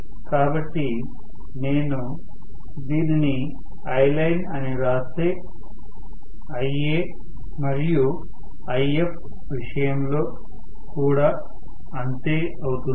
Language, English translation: Telugu, So, if I write it as Iline the same thing is true with respect to Ia the same thing is also If